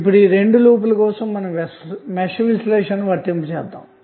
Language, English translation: Telugu, Now let us apply the mesh analysis for these two loops